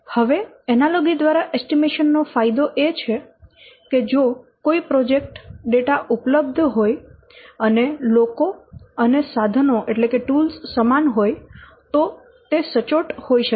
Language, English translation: Gujarati, Now the advantages of estimation analysis that it may be accurate if a project data they are available and the people and the people and the tools they are same, okay